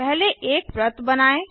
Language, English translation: Hindi, First let us draw a circle